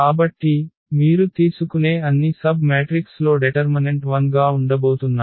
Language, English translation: Telugu, So, the all the submatrices you take whatever order the determinant is going to be 0